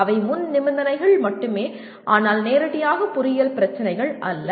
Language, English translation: Tamil, They will only prerequisites but not directly engineering problems